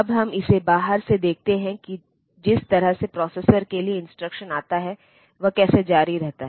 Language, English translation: Hindi, Now let us look at it from the outside like the way the instruction comes to the processor how does it continue